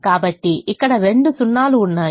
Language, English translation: Telugu, so there are two zeros here